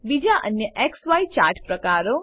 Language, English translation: Gujarati, Other XY chart types 3